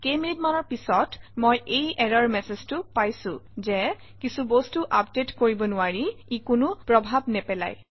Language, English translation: Assamese, After a few minutes, I get this error message that something can not be updated, so it doesnt matter